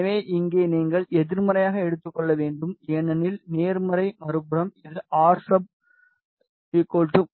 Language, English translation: Tamil, So, so here this you need to take in negative because positive is on the other side this should be rsub yes you take this is 0